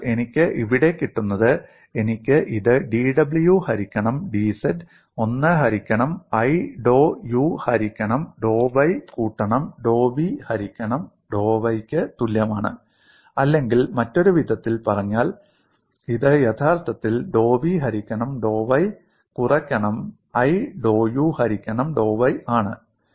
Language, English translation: Malayalam, So what I get here, I get this as dw by dz equal to 1 by i dou u by dou y plus dou v by dou y or in other words, this actually dou v by dou y minus i dou u by dou y